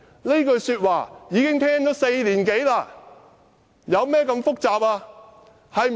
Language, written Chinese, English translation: Cantonese, 這句說話聽了4年多，問題究竟有多複雜？, We have heard this remark for more than four years . How complicated are the issues?